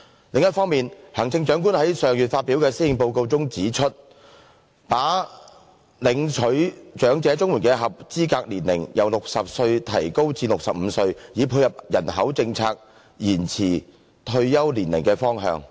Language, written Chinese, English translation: Cantonese, 另一方面，行政長官在上月發表的《施政報告》中提出，把領取長者綜援的合資格年齡由60歲提高至65歲，以配合人口政策延遲退休年齡的方向。, On the other hand the Chief Executive proposed in the Policy Address delivered last month that the eligible age for elderly CSSA be raised from 60 to 65 to align with the direction of the population policy to extend retirement age